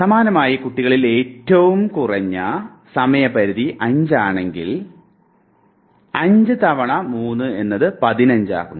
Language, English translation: Malayalam, Similarly in children say if the minimum span is going to be 5, then 5 3’s are 18